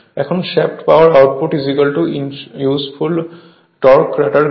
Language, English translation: Bengali, Now, shaft power output is equal to useful torque into rotor speed